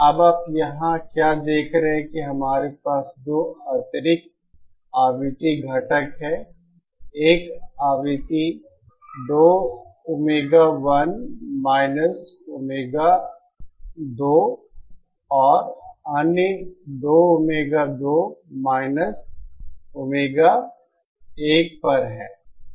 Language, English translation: Hindi, Now, what you see here is now that we have 2 additional components frequency components, one is at a frequency 2 Omega Omega and other at 2 Omega 2 Omega 1